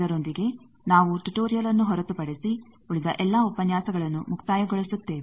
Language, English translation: Kannada, With this we complete all the lectures except the last tutorial